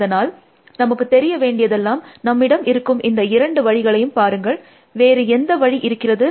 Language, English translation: Tamil, So, we want to now, look at these two options that we had, what is the other option